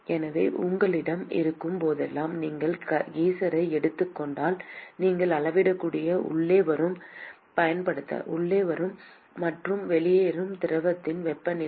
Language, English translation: Tamil, So, whenever you have if you take the example of the geyser, all that you can measure is the temperature of the fluid that comes in and goes out